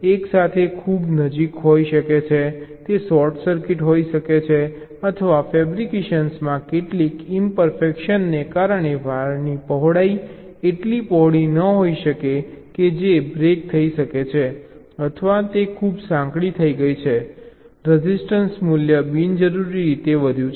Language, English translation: Gujarati, there can be two wires can be too close together, there can be short circuits, or the width of the wire may not be, may not be wide enough due to some imperfection in fabrication that can be break, or it has become too much narrow, the resistance value as increased unnecessarily